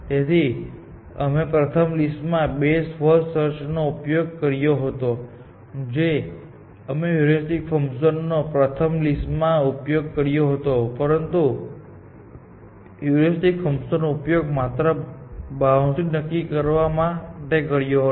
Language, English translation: Gujarati, This is why, we used the heuristic function in the first list, but this is not exploiting the heuristic function; it uses the heuristic function only to determine this boundary